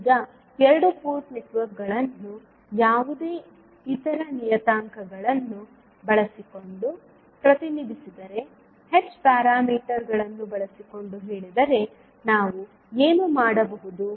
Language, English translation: Kannada, Now, if the two port networks are represented using any other parameters say H parameter, what we can do